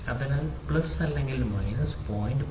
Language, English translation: Malayalam, So, plus or minus 0